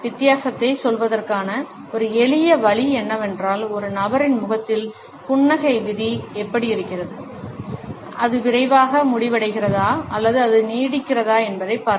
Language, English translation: Tamil, A simple way to tell the difference is to watch how does the smile fate on an individual’s face, does it end quickly or does it linger